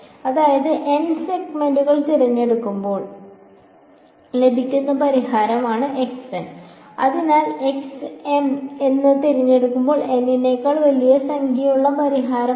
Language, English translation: Malayalam, So, x n is the solution obtained when N segments chosen and x m therefore, is the solution with m larger number larger than N chosen